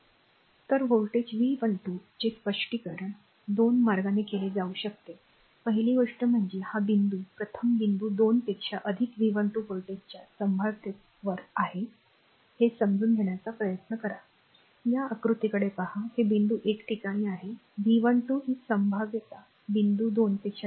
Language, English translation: Marathi, So, the voltage V 12 to can be interpreted as your in 2 ways first thing is this point you try to understand first one is the point 1 is at a potential of V 12 volts higher than point 2, look at this diagram right, it this point is your at a potential of V 12 higher than this your what you call that other point 2